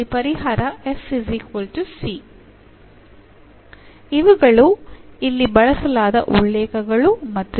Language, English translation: Kannada, These are the references used here, and